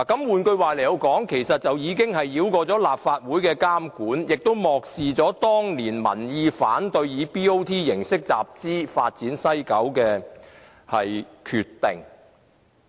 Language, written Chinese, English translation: Cantonese, 換句話說，這做法可繞過立法會的監管，亦漠視了當年民意反對以 BOT 形式集資發展西九的決定。, In other words this arrangement can allow the Government to bypass the scrutiny of the Legislative Council and it also goes against the decision of the people made in the past that WKCD projects should not be financed through BOT arrangements